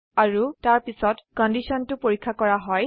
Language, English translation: Assamese, And then, the condition is checked